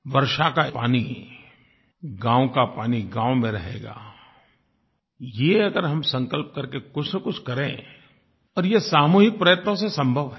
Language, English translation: Hindi, The water of a village will be preserved there if we work for it in a determined manner collectively